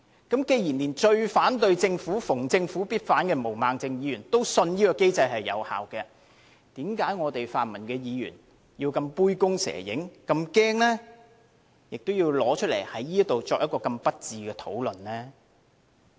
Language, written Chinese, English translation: Cantonese, 既然連最反對政府、逢政府必反的毛孟靜議員也相信這機制有效，為甚麼泛民議員要這麼杯弓蛇影，這麼害怕，要在此作這麼不智的討論呢？, Given that even Ms Claudia MO the most vocal opponent of the Government who opposes everything the Government does also believes that this mechanism is effective then why should those pan - democratic Members have to be so frightened under their imaginary fear and make such unwise claims which indeed do not make any sense?